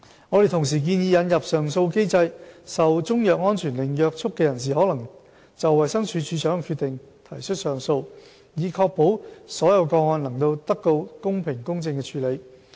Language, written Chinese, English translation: Cantonese, 我們同時建議引入上訴機制，受中藥安全令約束的人士可就衞生署署長的決定提出上訴，以確保所有個案能得到公平公正的處理。, Meanwhile to ensure the fair and just handling of all cases we propose to introduce an appeal mechanism whereby a person bound by a Chinese medicine safety order may appeal against the decision of the Director